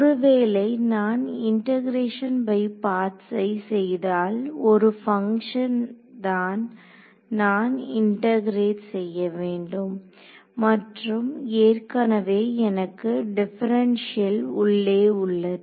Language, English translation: Tamil, If I do integration by parts I have to integrate one function and I already have the differential inside there